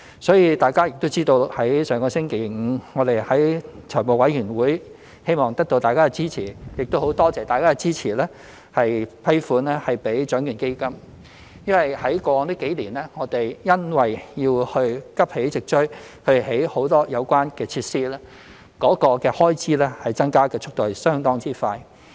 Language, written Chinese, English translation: Cantonese, 所以大家也知道，政府上星期五在財務委員會會議希望得到大家支持，亦很感謝大家支持批款注資獎券基金，因為過往幾年，我們因要急起直追興建很多有關設施，該開支增加的速度相當快。, As Members may also be aware the Government sought funding approval for capital injection into the Lotteries Fund at the meeting of the Finance Committee last Friday . We are really grateful for Members support because over the past few years expenditure in this aspect has been increasing very rapidly as we have to expedite the construction of many related facilities